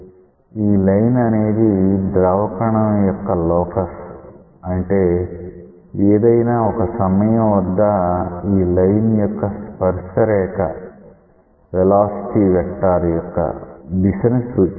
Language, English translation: Telugu, This line is the locus of the fluid particle so; that means, at some time tangent to this line represents the direction of the velocity vector